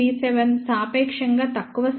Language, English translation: Telugu, 37 that is relatively small number